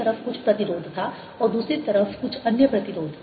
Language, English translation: Hindi, there was some resistance on this side and some other resistance on the other side